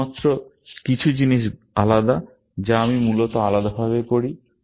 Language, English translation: Bengali, Only, some things are different, which I do separately, essentially